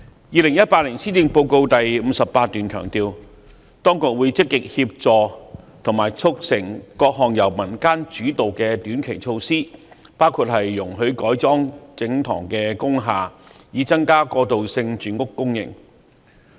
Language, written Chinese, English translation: Cantonese, 2018年施政報告第58段強調，當局會積極協助和促成各項由民間主導的短期措施，包括容許改裝整幢工廈，以增加過渡性住屋供應。, Paragraph 58 of the 2018 Policy Address stresses that the Administration will actively facilitate the implementation of various short - term community initiatives to increase the supply of transitional housing including allowing wholesale conversion of industrial buildings in order to increase the supply of transitional housing